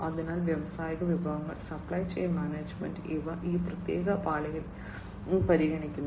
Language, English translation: Malayalam, So, industrial resources, supply chain management, these are considered in this particular layer